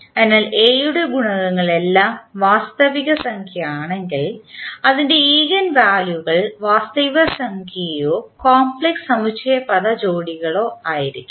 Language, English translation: Malayalam, So, if the coefficients of A are all real then its eigenvalues would be either real or in complex conjugate pairs